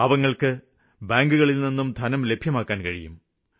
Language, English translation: Malayalam, Now the poor have this faith that they too can get money from the bank